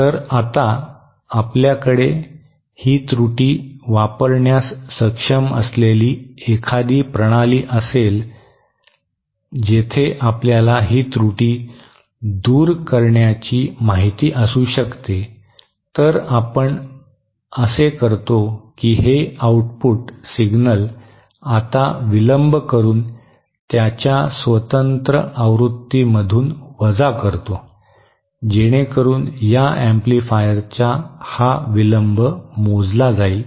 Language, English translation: Marathi, Then if we now have a system where we can use this error, where we can you know remove this error, so to do that what we do is this output signal is now subtracted from its own version using a delay, so as to account for this delay of this amplifier